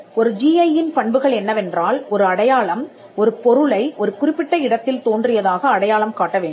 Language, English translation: Tamil, The characteristics of a GI is that a sign must identify a product as originating in a given place